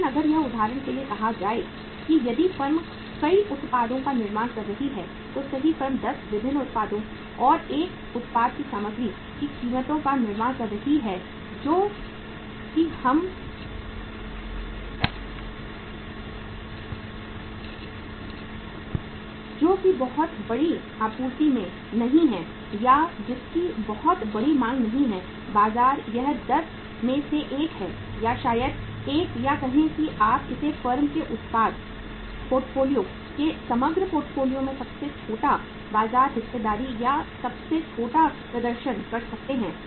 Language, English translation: Hindi, But if it is say for example if the firm is manufacturing the multiple products right firm is manufacturing say 10 different products and the prices of material of the one product which is not in very large uh supply or which is not having a very huge demand in the market it is one out of the 10 or maybe the one or the say you can call it as having the smallest market share or smallest performance in the overall portfolio of the product portfolio of the firm